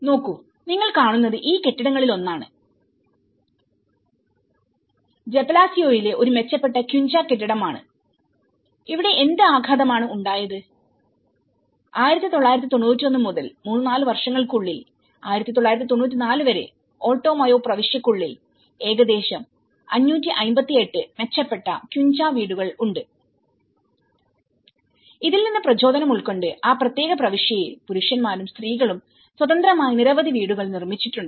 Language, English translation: Malayalam, See, this is one of the, this building what you are seeing is an improved quincha building in Jepelacio and here what is the impact, by from 1991 we move on to 3 to 4 years down the line in 1994, it has about 558 improved quincha houses within that Alto Mayo province and there are also, by taking the inspiration there are many have been built in that particular province independently by both men and women